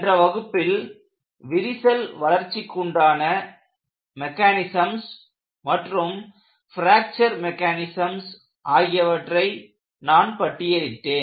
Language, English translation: Tamil, In the last class, I have listed various crack growth mechanisms and also fracture mechanisms